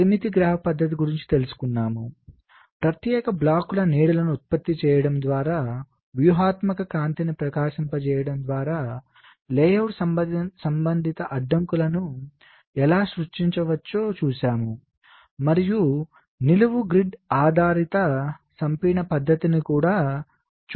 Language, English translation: Telugu, we saw how we can generate the layout related constraints by shining an imaginary light, by generating shadows of particular blocks, and we looked at the vertical grid based compaction method also